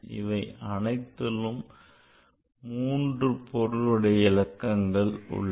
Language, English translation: Tamil, So, this number has 4 significant figures